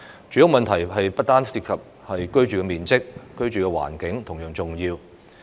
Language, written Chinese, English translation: Cantonese, 住屋問題不單涉及居住面積，居住環境同樣重要。, The housing problem does not only concern the living area but the living environment is equally important